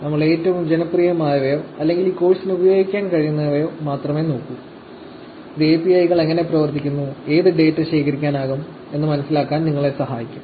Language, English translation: Malayalam, So, we are going to start looking at only the most popular ones, or the ones that we can actually use for this course, which will help you to understand how APIs work, what data can be collected